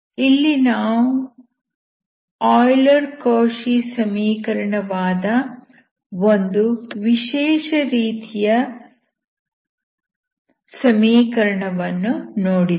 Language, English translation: Kannada, So we have seen here, a special type of equation called Euler Cauchy type equation